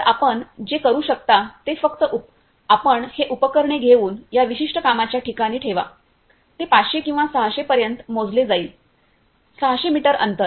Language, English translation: Marathi, So, what you can do is you simply take this equipment and place at that particular workplace, it will scale up to 500 or 600; 600 meter distance